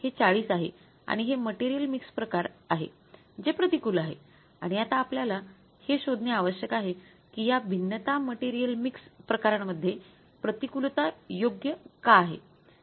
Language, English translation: Marathi, This is the 40 and this is going to be the material mix variance which is unfavorable and we will have to now find out why this variance material material mixed variance is unfavorable